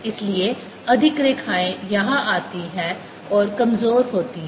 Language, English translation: Hindi, so more lines come in and weaker here